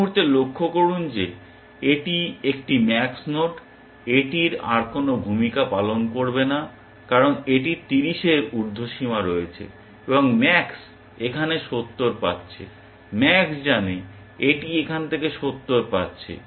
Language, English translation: Bengali, At this point, observe that because this is a max node here, this is never going to play a role any further because it has an upper bound of 30, and max is getting 70 from here, max knows it is getting 70 from here